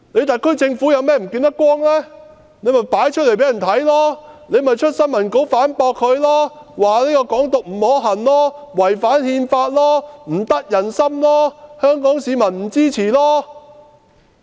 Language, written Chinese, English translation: Cantonese, 特區政府有何看法，可以公布出來，可以發新聞稿反駁說"港獨"不可行，違反《憲法》，不得人心，香港市民不支持。, The SAR Government may make public its viewpoints or issue press release to refute that Hong Kong independence is not only infeasible and violates the Constitution but is also unpopular and fails to win the support of Hong Kong people